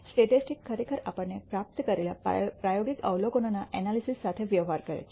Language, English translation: Gujarati, Statistics actually deals with the analysis of experimental observations that we have obtained